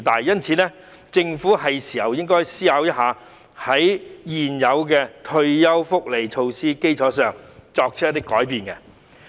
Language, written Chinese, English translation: Cantonese, 因此，政府是時候思考如何在現有的退休福利措施基礎上作出改變。, Therefore it is time for the Government to think about how to make changes on the basis of the existing measures of retirement benefit